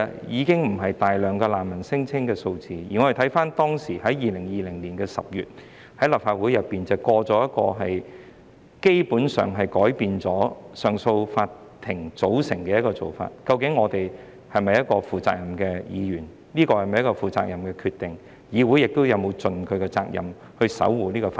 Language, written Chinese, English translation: Cantonese, 因此，當難民聲請不再那麼多，而立法會卻通過了一項從根本上改變上訴法庭組成的修訂，我們是否負責任的議員，這是否一個負責任的決定，議會又是否已盡其責任守護法治？, As such when refugee claims are not as many as before but the Legislative Council has passed an amendment that fundamentally changes the CA composition are we acting in a responsible manner is this a responsible decision and has this Council fulfilled its duty to uphold the rule of law?